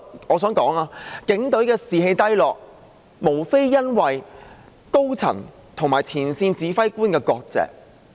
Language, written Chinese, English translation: Cantonese, 我想指出，警隊士氣低落，無非是因為高層與前線指揮官割席。, I wish to point out that the low morale of the Police Force should all be attributed to the top management severing its tie with frontline commanders